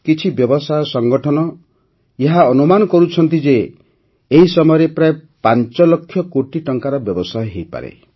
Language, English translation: Odia, Some trade organizations estimate that there could be a business of around Rs 5 lakh croreduring this wedding season